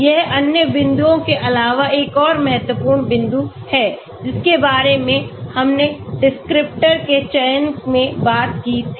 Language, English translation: Hindi, That is another important point in addition to other points, which we talked about in selecting descriptors